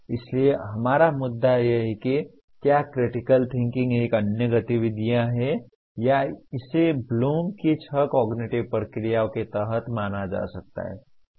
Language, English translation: Hindi, So our issue is, is critical thinking is another activity or is it can be considered subsumed under six cognitive processes of Bloom